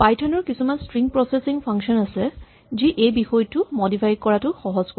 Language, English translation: Assamese, And so, Python has a number of string processing functions that make it easier to modify this content